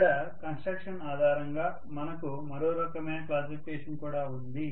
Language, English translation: Telugu, We also have one more type of classification based on construction